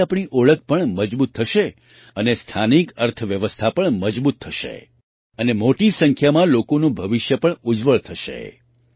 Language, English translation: Gujarati, This will also strengthen our identity, strengthen the local economy, and, in large numbers, brighten the future of the people